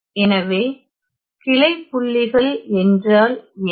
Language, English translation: Tamil, So, what are these branch points